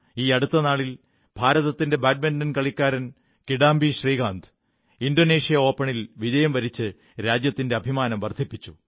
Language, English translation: Malayalam, Recently India's Badminton player, Kidambi Shrikant has brought glory to the nation by winning Indonesia Open